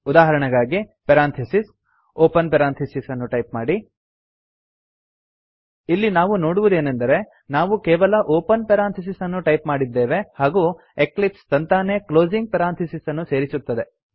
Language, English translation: Kannada, For example parentheses, type open parentheses We can see that we only have to type the open parenthesis and eclipse automatically adds the closing parenthesis